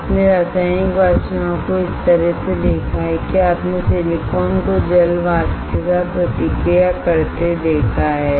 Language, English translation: Hindi, You have seen Chemical Vapor Deposition in a way that you have seen silicon reacting with water vapor right